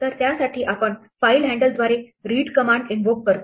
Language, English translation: Marathi, So, we invoke the read command through the file handle